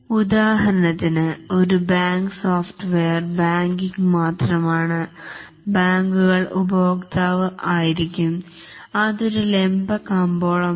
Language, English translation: Malayalam, For example, a banking software is only the banks will be the customer and that's a vertical market